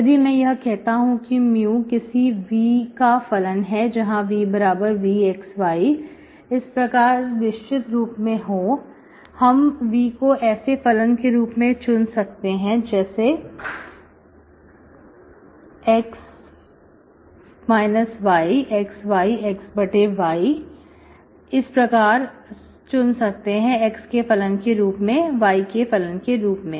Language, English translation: Hindi, If I say let mu is function of some v which is where v is, v is a function of x, y, the specific form, this I can choose like, like v as v of x minus y, v of x, y, v of x by y, these kind of patches once I can choose there is function of x, as a function of x, v, okay